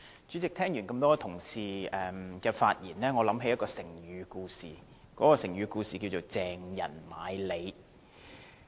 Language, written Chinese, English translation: Cantonese, 主席，聽了這麼多位同事的發言，我想起成語故事"鄭人買履"。, President having listened to the speeches of so many Members I think of a Chinese idiom